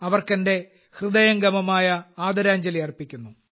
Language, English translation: Malayalam, I also pay my heartfelt tribute to her